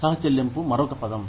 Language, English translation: Telugu, Copayment is another term